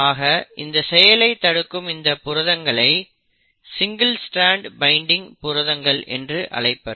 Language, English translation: Tamil, Now these proteins which prevent that are called as single strand binding proteins